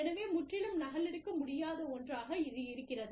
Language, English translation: Tamil, So, something, that cannot be totally copied